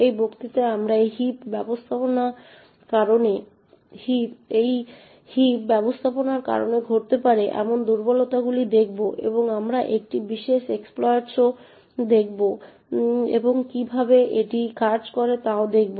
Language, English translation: Bengali, In this lecture we will look at vulnerabilities that may occur due to this heap management and we will also see one particular exploit and look at how it works